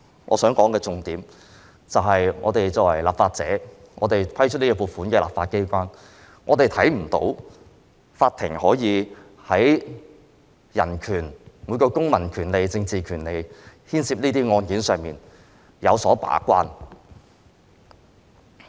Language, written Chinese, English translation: Cantonese, 我想說的重點，就是我們作為立法者、負責審批這項撥款的立法機構成員，我們看不到法庭有為這些牽涉人權、公民及政治權利的案件把關。, If it cannot even do it I am worried that The point I wish to make is that we are legislators members of the legislature which is responsible for examining this funding proposal and we have not seen the Court acting as a gatekeeper in these cases which involved human rights and civil and political rights